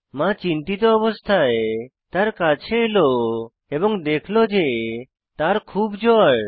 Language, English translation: Bengali, The worried mother who came near her noticed that she has a high temperature